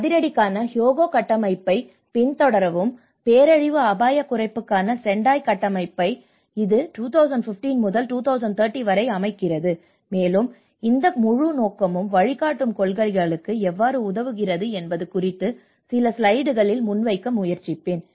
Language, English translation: Tamil, And follow up on the Hyogo Framework for Action, Sendai Framework for disaster risk reduction sets up like this 2015 to 2030, and I will try to present into few slides on how this whole scope and purpose to the guiding principles